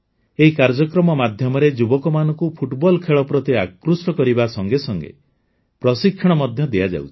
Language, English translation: Odia, Under this program, youth are connected with this game and they are given training